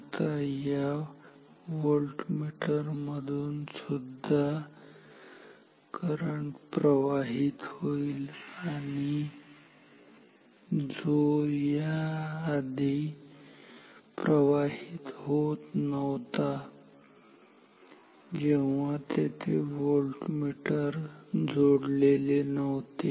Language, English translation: Marathi, Now, through the voltmeter as well which was not flowing previously through these previously when the voltmeter was not there